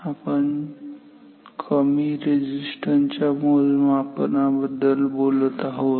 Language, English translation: Marathi, So, we are talking about low resistance measurement